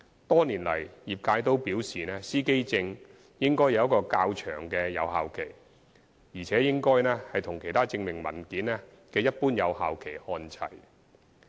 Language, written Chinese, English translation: Cantonese, 多年來，業界均表示司機證應有較長的有效期，而且應與其他證明文件的一般有效期看齊。, For many years the trades have indicated that the validity period of driver identity plates should be lengthened and aligned with the validity period commonly applicable to other identification documents